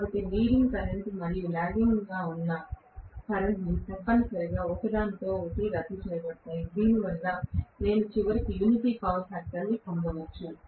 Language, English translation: Telugu, So, the leading current and the lagging current will essentially cancel out with each other because of which I might ultimately get unity power factor